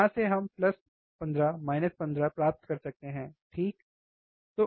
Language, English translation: Hindi, From here we can get plus 15 minus 15, alright